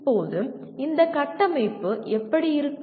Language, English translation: Tamil, Now how does this framework look like